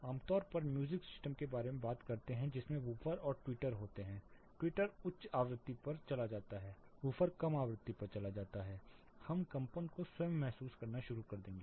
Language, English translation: Hindi, Typically music systems we talk about you know woofer and twitter; twitter goes on the high frequency, woofer goes on the low frequency we will start feeling the vibrations itself